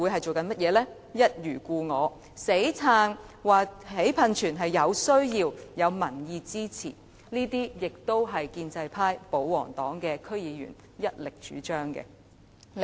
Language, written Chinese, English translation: Cantonese, 就是一如故我，堅持興建噴泉是有需要和有民意支持的，而這是建制派、保皇黨的區議員所一力主張的。, They remained bent on having their way insisting that the construction of the music fountain was necessary and supported by the public . This project was strongly supported by DC members from the pro - establishment camp and pro - government camp